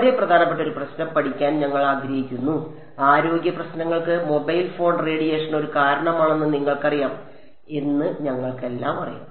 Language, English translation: Malayalam, And we are wanting to study a very important problem, all of us know that you know mobile phone radiation is a possible cause for concern health issues